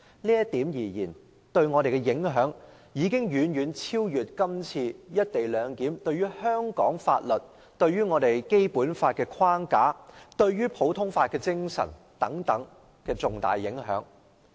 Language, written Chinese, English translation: Cantonese, 這對我們的影響，將遠超"一地兩檢"對香港法律、《基本法》框架及普通法精神的重大影響。, The impact of this on us will even be much greater than the profound impact of the co - location arrangement on the laws of Hong Kong the Basic Law framework and the spirit of common law